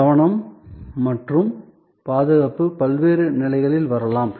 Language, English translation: Tamil, Safety and security can come in at different levels